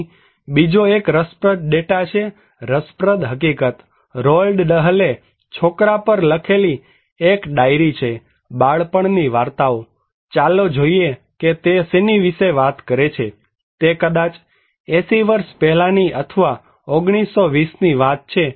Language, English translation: Gujarati, Here is another interesting data, interesting fact, there is a diary written as by Roald Dahl on BOY, the tales of childhood, let us look what he is talking about, it is maybe 80 years before or in 1920’s okay